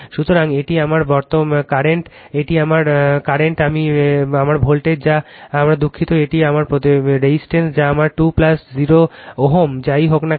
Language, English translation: Bengali, So, this is my current this is my current I into this is my voltage that is my sorry this is my impedance that is my 2 plus 0 ohm whatever it comes right